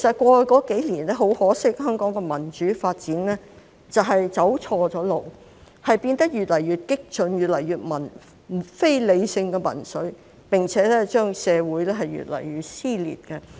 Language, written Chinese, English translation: Cantonese, 過去數年，很可惜，香港的民主發展走錯路，變得越來越激進，越來越非理性的民粹，並且令社會越來越撕裂。, Over the past few years regrettably the development of democracy in Hong Kong has taken a wrong turn becoming more and more radical and getting more and more irrational and populist . The social split has even gone wider